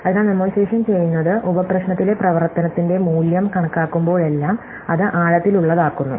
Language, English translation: Malayalam, So, what memoization does is whenever it computes the value of the function in sub problem, it puts it into a table